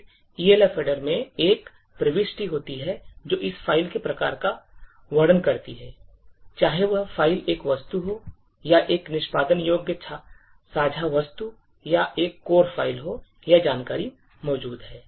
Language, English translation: Hindi, Then, there is an entry in the Elf header which describes the type of this particular file, whether the file is an object, or an executable a shared object or a core file, so this information is present in type